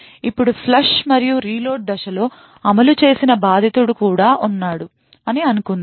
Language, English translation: Telugu, Now let us assume that during one of the flush and reload phases, there is also the victim that has executed